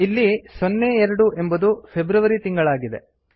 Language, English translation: Kannada, Here it is showing 02 for the month of February